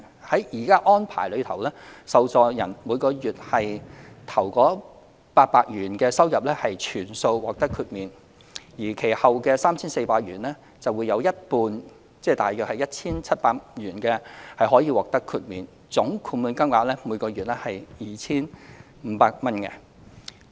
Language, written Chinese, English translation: Cantonese, 在現行安排下，受助人每月首800元的收入可全數獲得豁免，而其後的 3,400 元則有一半可獲豁免，總豁免金額每月最高為 2,500 元。, Under the current arrangement the first 800 of the monthly earnings from employment of the recipient is totally disregarded while up to half of the next 3,400 of hisher earnings ie 1,700 is also disregarded adding up to a total disregarded earnings of 2,500 per month at the maximum